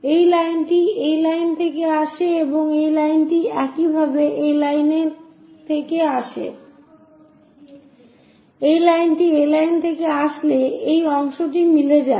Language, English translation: Bengali, This line comes from this line and this one comes from that line similarly, this line comes from this line this part coincides